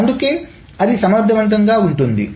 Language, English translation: Telugu, This can be extremely inefficient